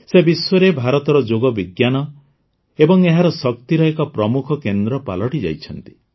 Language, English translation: Odia, She has become a prominent face of India's science of yoga and its strength, in the world